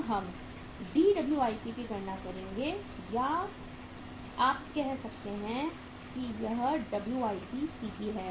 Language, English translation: Hindi, Now we will calculate the Dwip or you can say it is the WIPCP